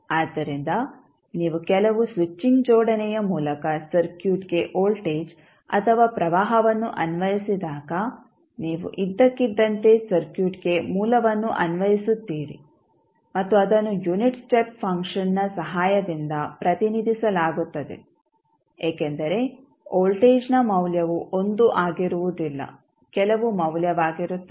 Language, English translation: Kannada, So, whenever you apply voltage or current to the circuit through some switching arrangement it is nothing but you suddenly apply the source to the circuit and it is represented with the help of the unit step function because the value of voltage will not be 1 it will be some value